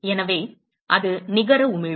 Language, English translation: Tamil, So, that is the net emission